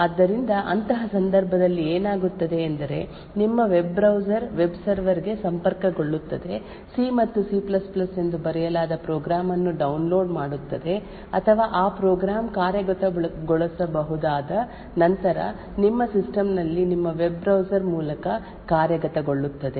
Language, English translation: Kannada, So in such a case what would happen is your web browser will connect to a web server download a program written in say C and C++ that program or that executable would then execute through your web browser in your system